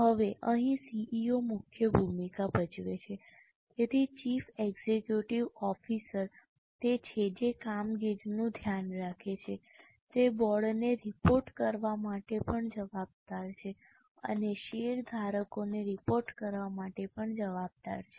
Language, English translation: Gujarati, So, Chief Executive Officer is one who is looking after the operations is also responsible for reporting to the board is also responsible for reporting to the shareholders